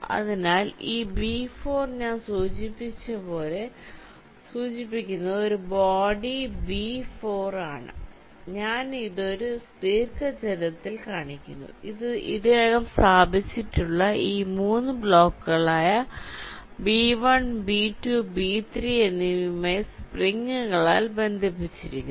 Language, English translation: Malayalam, ok, so this b four, i am denoting by a body, b four, i am showing it in a rectangle which, as if is connected by springs to these three already placed blocks: b one, b two, b three